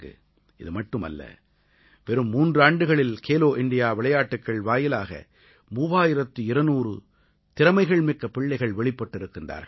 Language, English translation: Tamil, Not only this, in just three years, through 'Khelo India Games', thirtytwo hundred gifted children have emerged on the sporting horizon